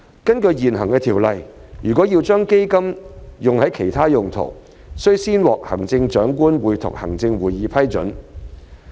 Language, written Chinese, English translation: Cantonese, 根據現行條例，若要將基金用作其他用途，須先獲行政長官會同行政會議批准。, According to the existing ordinance prior approval of the Chief Executive in Council will be required if the Trust Fund is applied for other purposes